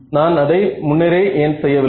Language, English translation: Tamil, So, why did not I do this earlier